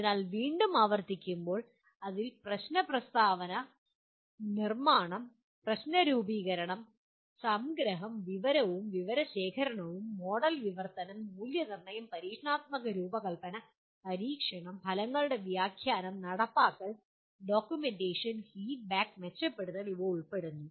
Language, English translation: Malayalam, So once again to repeat, it involves problem statement construction, problem formulation, and abstraction, information and data collection, model translation, validation, experimental design, experimentation, interpretation of results, implementation, documentation, feedback, and improvement